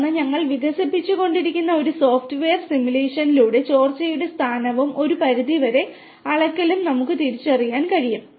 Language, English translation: Malayalam, And then, through a software simulation we are which we are developing, we will at be able to identify the location and some extent the quantitative volume of the leakage